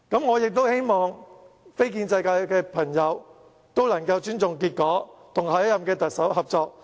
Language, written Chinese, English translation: Cantonese, 我亦希望非建制派朋友能夠尊重結果，與下任特首合作。, I also hope that non - establishment Members will respect the outcome and cooperate with the next Chief Executive